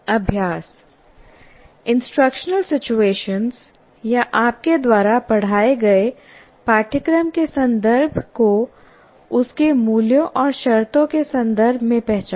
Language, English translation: Hindi, Now we request you to identify the instructional situation or the context of a course you taught in terms of its values and conditions